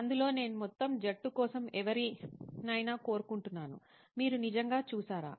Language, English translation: Telugu, In that I would like for the entire team anybody can pitch in is have you actually seen